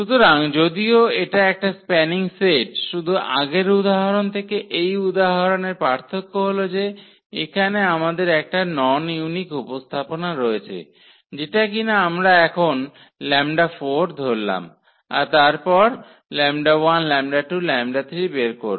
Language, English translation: Bengali, So, indeed this is a spanning set the only difference from the earlier example to this example here is that that we have a non unique representation, that we have to choose now lambda 4 and then compute lambda 1 lambda 2 lambda 3